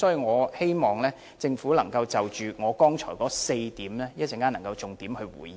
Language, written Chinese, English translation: Cantonese, 我希望政府稍後能夠就我剛才提出的4點，作出重點回應。, I hope the Government will give a detailed response later to the four points I just mentioned